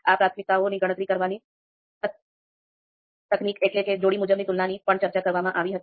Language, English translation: Gujarati, The technique to calculate these priorities we also talked about, that is pairwise comparisons, so this also we discussed